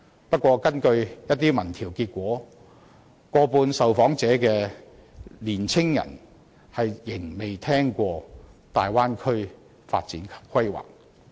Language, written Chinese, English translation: Cantonese, 不過，根據一些民調結果，過半受訪的香港年青人仍未曾聽聞大灣區發展及規劃。, However according to the results of some opinion polls more than half of the local young people surveyed have never heard of the development and planning of the Bay Area